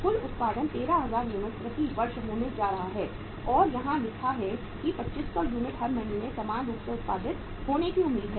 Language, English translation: Hindi, Total production is going to be 13000 units per year and it is written here that 2500 units are expected to be produced uniformly every month